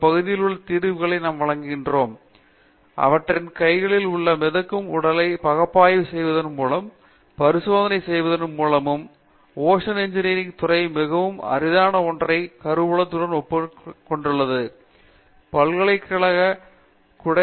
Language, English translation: Tamil, That we do offer solutions in these areas by analysing and experimenting with the kind of floating body that they have in their hands, to that extent the department of ocean engineering is well endorsed with the very rare combination of facilities which cannot be thought of under the university umbrella